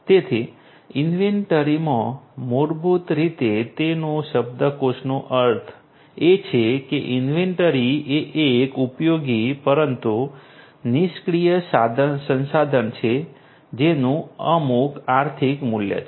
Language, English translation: Gujarati, So, in inventory basically the dictionary meaning of it is that inventory is a usable, but idle resource having some economic value